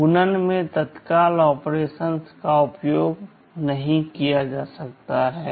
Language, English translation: Hindi, And in multiplication immediate operations cannot be used